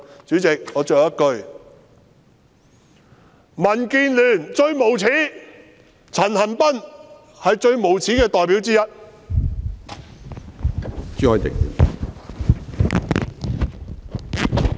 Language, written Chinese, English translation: Cantonese, 主席，我說最後一句，民建聯最無耻，陳恒鑌是最無耻的代表之一！, Chairman my last remark is DAB is the most despicable and CHAN Han - pan is one of the most despicable representatives